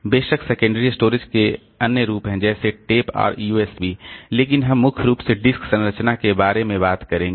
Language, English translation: Hindi, Of course there are other forms of secondary storage like tape and say USBs and also there there but we'll be primarily talking about the disk structure